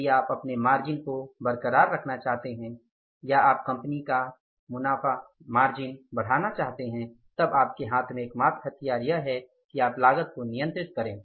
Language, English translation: Hindi, If you want to keep your margin intact or you want to increase the margin of your company your profits, only weapon in your hand is that you can control the cost